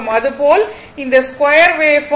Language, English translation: Tamil, Similarly, this square wave form